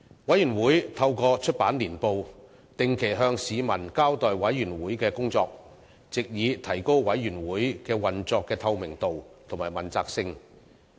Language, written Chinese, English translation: Cantonese, 委員會透過出版年報，定期向市民交代委員會的工作，藉以提高委員會運作的透明度及問責性。, The publication of the Annual Report enables the Committee to brief the public on its work on a regular basis . It can enhance the transparency and accountability of the Committees work